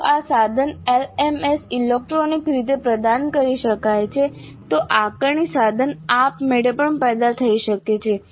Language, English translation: Gujarati, If this can be provided electronically to a tool to an LMS then assessment instrument can be generated automatically also